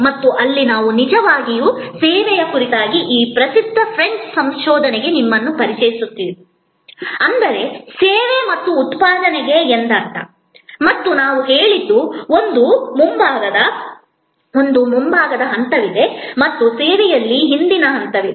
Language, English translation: Kannada, And there we actually introduce you to this famous French research on servuction, which is means service and production and we said that, there is a front stage and there is a back stage in service